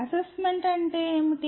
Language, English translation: Telugu, What is assessment